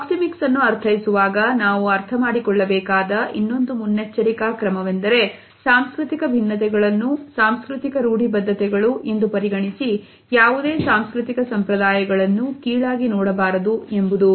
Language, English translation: Kannada, Another precaution which we have to take during our understanding of the proxemic behavior is that these cultural differences should never be turned into cultural stereotypes to look down upon any cultural norm